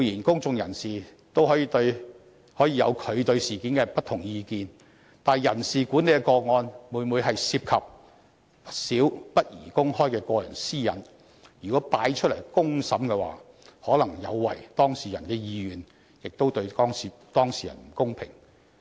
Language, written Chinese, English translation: Cantonese, 公眾人士固然可以對事件持不同的意見，但人事管理的個案每每涉及不少不宜公開的個人私隱，如果提交出來進行公審的話，可能有違當事人的意願，對當事人亦不公平。, The public may understandably have different views on the incident but personnel management cases often involve various personal privacy issues which should not be made public . Putting such cases under public scrutiny may be against the wills of the parties concerned and is also unfair to them